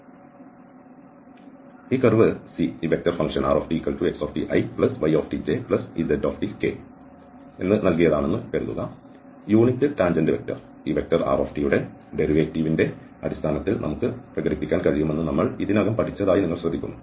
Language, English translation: Malayalam, So, suppose this curve C is given by this vector function xt, yt, zt and you note that we have already learned this that the unit tangent vector, we can express in terms of the derivative of this r